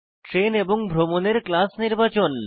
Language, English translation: Bengali, To select the train and the class of travel